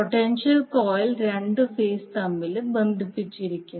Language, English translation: Malayalam, And the potential coil is connected between two phases